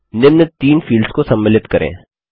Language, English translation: Hindi, Include the following three fields